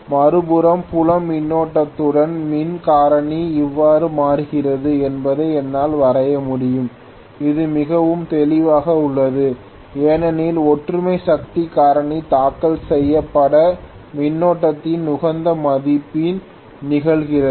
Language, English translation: Tamil, On the other hand, I should be able to draw how the power factor changes again with field current, this is pretty clear I suppose because unity power factor occurs at optimum value of filed current